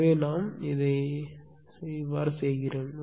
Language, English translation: Tamil, So, how we will do this